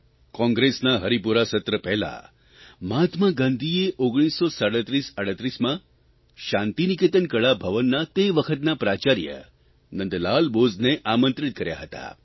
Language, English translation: Gujarati, Before the Haripura Session, in 193738, Mahatma Gandhi had invited the then Principal of Shantiniketan Kala Bhavan, Nandlal Bose